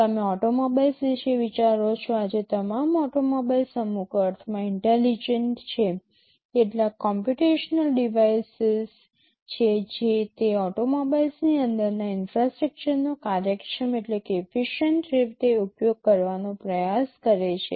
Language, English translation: Gujarati, You think of automobiles; today all automobiles are intelligent in some sense, there are some computational devices that try to utilize the infrastructure inside those automobiles in an efficient way